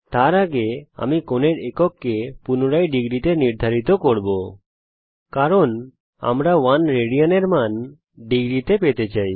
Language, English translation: Bengali, Before that I will redefine the angle unit to be degrees because we want to find the value of 1 rad in degrees